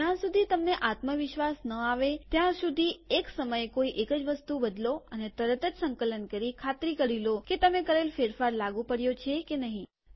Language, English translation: Gujarati, Until you become confident, change only one thing at a time and make sure by immediate compilation that whatever you have done is correct